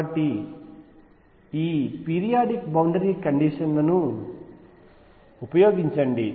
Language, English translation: Telugu, So, use periodic boundary conditions